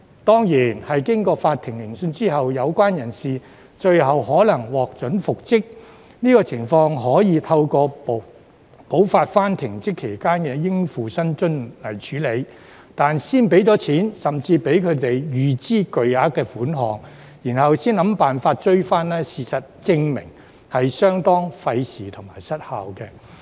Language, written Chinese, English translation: Cantonese, 當然，經過法庭聆訊後，有關人士最後可能獲准復職，但這種情況可以透過補發停職期間的應付薪津處理，但先付錢，甚至讓他們預支巨額款項，然後才想辦法追討，事實證明是相當費時和失效的。, Certainly the person concerned may eventually be permitted to resume his functions and duties after the court hearings but this kind of situation can be dealt with by giving back - payments in respect of the remuneration due to him during the period of suspension . It has been proven that the approach of paying remuneration or even large sums of money to these people first and then try to recover the money is a waste of time and very ineffective